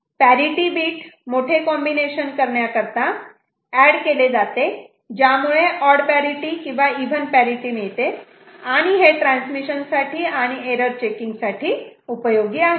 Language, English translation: Marathi, Parity bit is added to make the big combination that includes the parity bit one of even or odd parity useful for transmission purpose and error checking and things like that